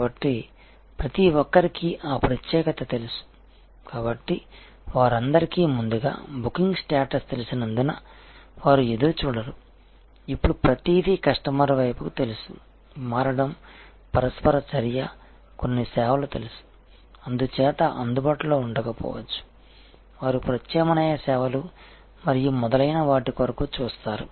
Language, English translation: Telugu, So, everybody knows that particular, so there not waiting with a particular earlier booking status they all know, that now everything is to shift on the customer also interaction knows the some of the services therefore, may not be available, they me look for alternative services and so on